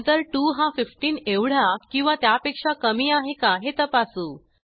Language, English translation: Marathi, Then we check if 2 is less than or equal to 15